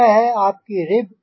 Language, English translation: Hindi, this is the rib